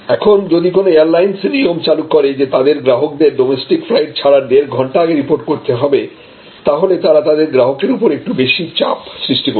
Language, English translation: Bengali, Now, if some airlines starting existing that customer as to report 1 and a half hours before the flight time are checking before 1 and half hours before on a domestic flight; that means, you are putting some more pressure in the customer